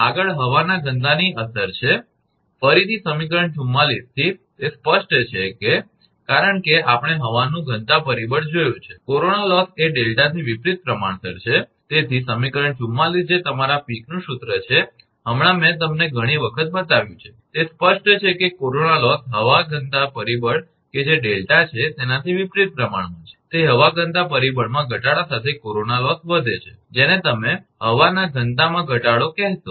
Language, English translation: Gujarati, Next is effect of density of air, again from equation 44, it is evident that is because we have seen the air density factor that corona loss is inversely proportional to delta therefore, equation 44 that is your Peek's formula just now I showed you many times, it is evident that corona loss is inversely proportional to the air density factor that is delta, that is corona loss increases with decrease in air density factor your density to your what you call decrease of density of air